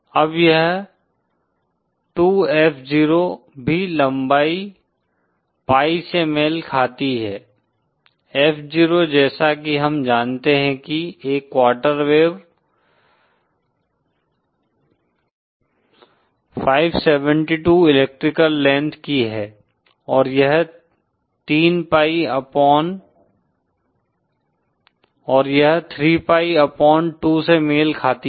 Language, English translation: Hindi, Now this 2 F0 also corresponds to the length pi F0 corresponds, as we know on a quarter wave is of length 572 electrical length and this corresponds to 3 pi upon 2